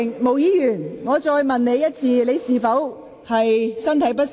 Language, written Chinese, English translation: Cantonese, 毛孟靜議員，我再詢問一次，你是否感到身體不適？, Ms Claudia MO may I ask you once again whether you are not feeling well?